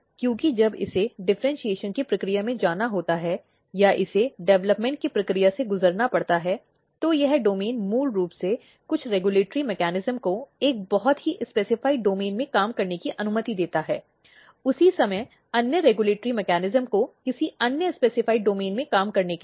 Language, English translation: Hindi, Because when it has to go the process of differentiation or it has to go the process of development, this domains basically allow some of the regulatory mechanism to function in a very specified domain, at the same time other regulatory mechanism to function in another specified domain